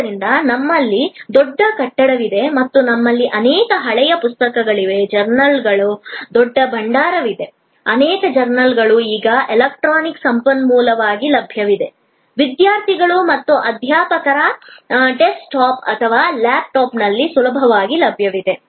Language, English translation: Kannada, So, we have a huge building and we have many old books, a huge repository of journals, many journals are now available as electronic resource, easily available on the desktop or laptop of students, faculty